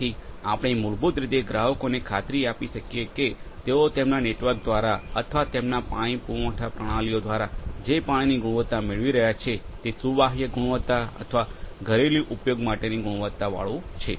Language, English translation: Gujarati, So, we can basically make the consumers assure that the water quality they are getting through their distribution network or through their water supply systems are of the portable quality or domestically usable quality